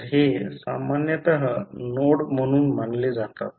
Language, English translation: Marathi, So, these are generally considered as a node